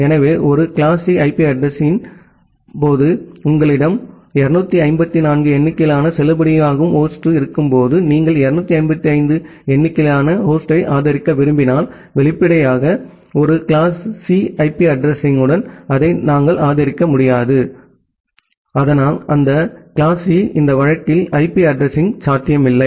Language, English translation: Tamil, So, whenever you have 254 number of valid host in case of a class C IP address, and you want to support 255 number of host, obviously, we will not be able to support that with a class C IP address, so that class C IP address is not possible in this case